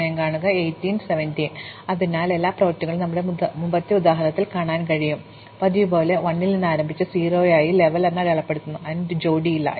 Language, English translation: Malayalam, So, we can see all this works in our earlier example, as usual we start with 1 and we mark its level as 0 and it does not have a parent